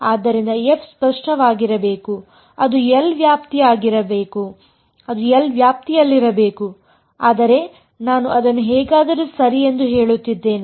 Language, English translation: Kannada, So, f must be in the range of L that is kind of obvious, but I am just stating it anyway ok